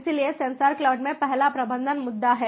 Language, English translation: Hindi, first one is the management issue in sensor cloud